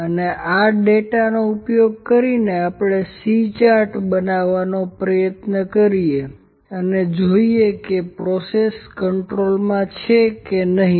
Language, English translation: Gujarati, And the using this data, try to make a C chart and see whether the processes in control or not